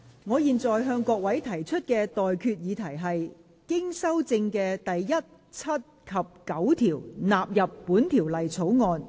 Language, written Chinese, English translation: Cantonese, 我現在向各位提出的待決議題是：經修正的第1、7及9條納入本條例草案。, I now put the question to you and that is That clauses 1 7 and 9 as amended stand part of the Bill